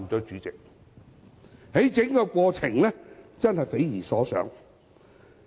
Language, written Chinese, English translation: Cantonese, 整個過程確實匪夷所思。, The whole process is really inconceivable